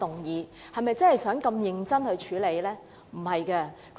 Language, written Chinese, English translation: Cantonese, 是否真的想要認真處理該議案？, Do they really want to seriously deal with that motion?